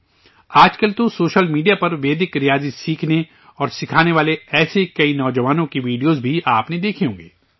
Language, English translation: Urdu, You must have seen videos of many such youths learning and teaching Vedic maths on social media these days